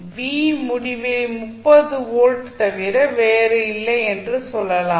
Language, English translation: Tamil, You can simply say that v infinity is nothing but 30 volts